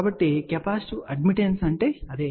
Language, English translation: Telugu, So, that is what is the capacitive admittance